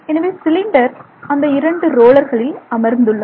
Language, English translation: Tamil, So, that cylinder is sitting on those two rollers and those rollers rotate